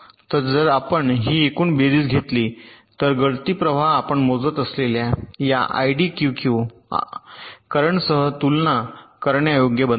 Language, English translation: Marathi, so if you take this sum total of all the leakage currents, that becomes comparable with this iddq current which you are measuring